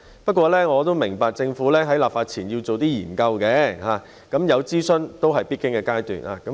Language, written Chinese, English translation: Cantonese, 不過，我也明白政府在立法前要進行研究，諮詢也是必經的階段。, However I understand that studies and consultations are the essential steps before the enactment of legislation